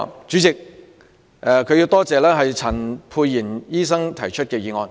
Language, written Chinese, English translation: Cantonese, 主席，邵議員感謝陳沛然醫生提出這項議案。, President Mr SHIU would like to thank Dr Pierre CHAN for moving this motion today